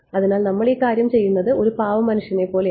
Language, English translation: Malayalam, So, it's like a poor mans we have doing this thing